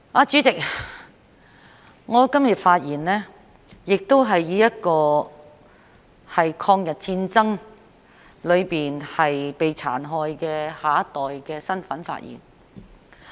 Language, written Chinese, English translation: Cantonese, 主席，我今天亦是以一個在抗日戰爭中被殘害的下一代的身份發言。, President today I am speaking as a member of the next generation of those being brutalized during the War of Resistance against Japanese Aggression